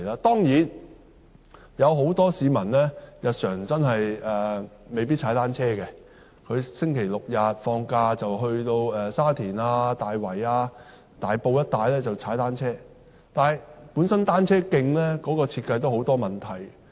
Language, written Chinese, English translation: Cantonese, 當然，很多市民真的未必經常踏單車，星期六、日及假期會前往沙田、大圍、大埔一帶踏單車，但單車徑本身的設計都有很多問題。, Certainly many people may not cycle very often and they may only do so during weekends in the areas of Sha Tin Tai Wai and Tai Po . Nevertheless there are problems in the design of cycle tracks